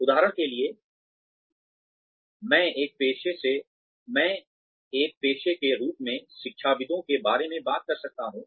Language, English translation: Hindi, For example, I can talk about, academics as a profession